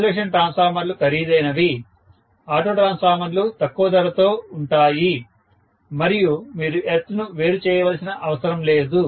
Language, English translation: Telugu, Because isolation transformers are costlier, auto transformers are less costly and you do not need to separate the earth